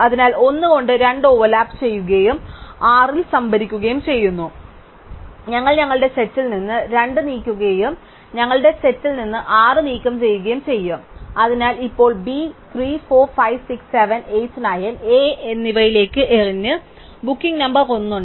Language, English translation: Malayalam, So, 2 overlaps with 1 and stored at 6, so we will move 2 from our set and we will remove 6 from our set, so now B has been thrown to 3, 4, 5, 7, 8, 9 and A has the booking number 1